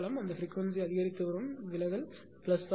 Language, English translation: Tamil, That frequency is increasing deviation is plus